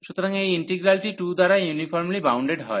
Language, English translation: Bengali, So, these integrals here are uniformly bounded